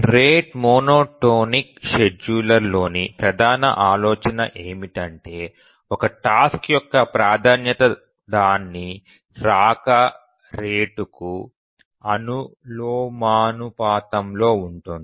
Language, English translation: Telugu, The main idea in the rate monotonic scheduler is that the priority of a task is proportional to its rate of arrival